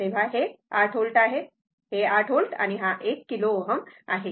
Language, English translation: Marathi, So, it is 8 volt right; 8 volt it is kilo ohm right